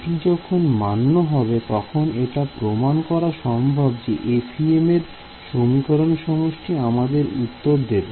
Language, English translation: Bengali, When this is satisfied, it is possible to prove that the FEM system of equations rigorously gives the solution